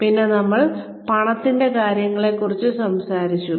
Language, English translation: Malayalam, And, we talked about money matters